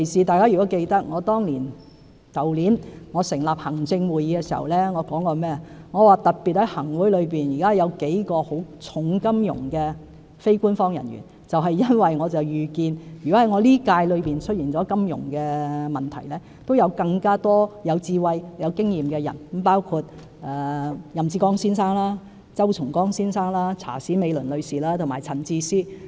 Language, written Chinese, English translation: Cantonese, 大家如果記得，我去年成立行政會議時，說現時在行政會議內有數位金融界的非官守議員，因為我預見一旦任內出現金融問題，也有更多有智慧和有經驗的人士，包括任志剛先生、周松崗先生、查史美倫女士和陳智思先生。, If Honourable Members still recall I said when the Executive Council was formed last year that there were in the Executive Council a number of non - official members from the financial sector as I foresaw that should financial issues arise within my term of office there would be more wise and experienced Members like Mr Joseph YAM Mr CHOW Chung - kong Mrs Laura CHA and Mr Bernard CHAN